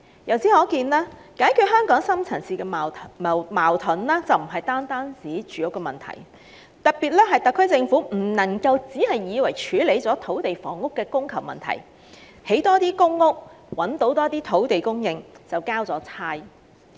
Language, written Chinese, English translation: Cantonese, 由此可見，解決香港深層次矛盾並不單指解決住屋問題，故特區政府別以為藉覓得更多土地興建更多公屋以處理土地及房屋的供求問題，便可以交差了事。, This tells us that resolving the deep - seated conflicts in Hong Kong does not simply mean addressing the housing issue . And so the SAR Government should not think that it can just phone it in by finding more land for building more public housing units to address the issue about land and housing supplydemand